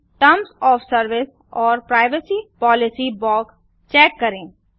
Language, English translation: Hindi, Check the terms of service and privacy policy box